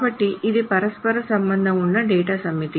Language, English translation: Telugu, So it's a set of interrelated data